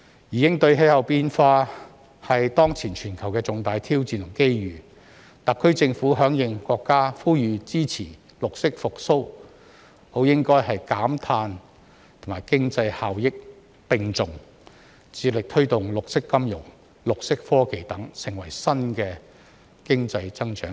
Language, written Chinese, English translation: Cantonese, 應對氣候變化是當前全球的重大挑戰和機遇，特區政府響應國家呼籲支持"綠色復蘇"，理應減碳與經濟效益並重，致力推動綠色金融、綠色科技等成為新經濟增長點。, Responding to climate change is a major global challenge and opportunity . In response to the countrys call for support of green recovery the SAR Government should pay equal attention to carbon reduction and economic benefits and strive to develop green finance and green technology into new economic growth points